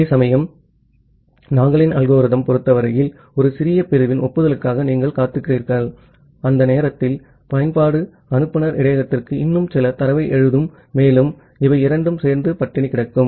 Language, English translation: Tamil, Whereas, in case of Nagle’s algorithm you are just waiting for the acknowledgement of a small segment with the expectation that by that time the application will write few more data to the sender buffer and these two together can cost a starvation